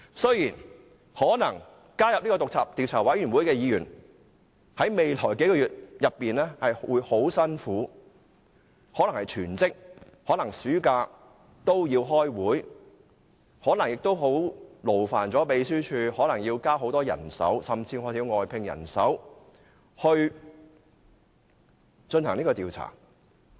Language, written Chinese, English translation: Cantonese, 雖然加入專責委員會的議員，在未來幾個月可能會很辛苦，可能暑假也要開會，可能亦會勞煩秘書處增聘人手，甚至需要外聘人手進行調查。, Members who join this select committee will have to work very hard in the following months; they may have to attend meetings during the summer break; and the Legislative Council Secretariat may have to deploy additional staff or even recruit more staff to conduct the inquiry